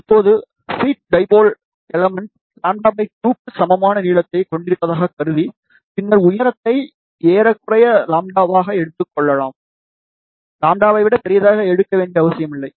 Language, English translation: Tamil, Now, assuming that the feed dipole element has a length equal to lambda by 2, then height can be taken approximately as lambda, there is a no need of taking larger than lambda